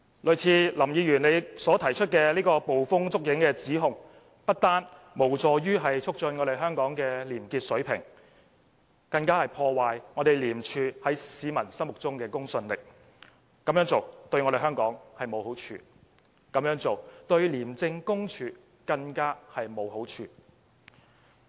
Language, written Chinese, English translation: Cantonese, 類似林議員所提出的捕風捉影的指控，不單無助於促進香港的廉潔水平，反而會破壞廉署在市民心目中的公信力，這樣做對香港沒有好處，對廉署更無好處可言。, Unfounded accusations like those put forward by Mr LAM not only fail to promote probity in Hong Kong but also ruin the credibility of ICAC among the people . Such a practice brings no benefit to Hong Kong nor ICAC for that matter